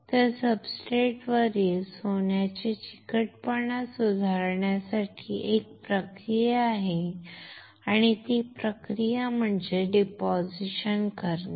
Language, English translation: Marathi, So, to improve the adhesion of gold on the substrate there is a process and that process is to deposit